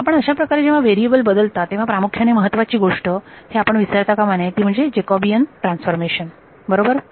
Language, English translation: Marathi, When you do change of variables what is the main thing that you should not forget the Jacobian of the transformation right